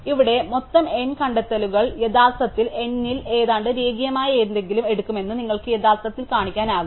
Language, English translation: Malayalam, Here, you can actually show that a total of n finds will actually take something almost linear in n